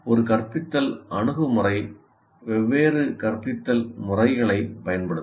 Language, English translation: Tamil, And then an instructional approach will use different instructional methods